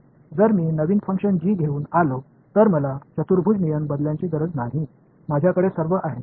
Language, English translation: Marathi, So, if I come up with a new function g I do not have to change the quadrature rule, all I have